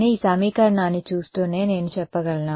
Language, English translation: Telugu, But, can I say that while looking at this equation